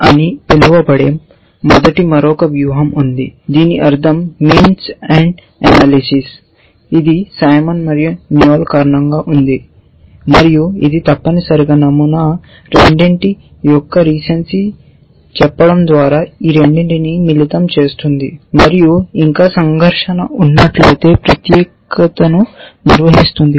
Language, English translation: Telugu, There is a first strategy which is called mea, which stands for may be at some point we will a discuss this, means ends which is due to a Simon and Noel and it essentially combines these two by saying recency of pattern one and if there is still a conflict then specificity